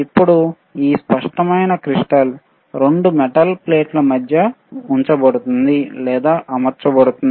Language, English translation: Telugu, Now, this clear crystal is placed or mounted between 2 metal plates which you can see here right